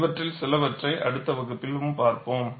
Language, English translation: Tamil, We would see that in the next class